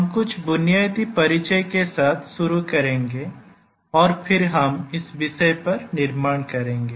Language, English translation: Hindi, Today we will start with some basic introduction and then we will build on this topic